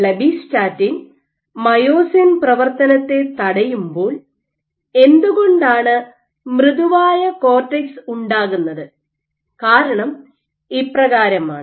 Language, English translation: Malayalam, Why is blebbistatin with inhibits myosin to activity lead to a softer cortex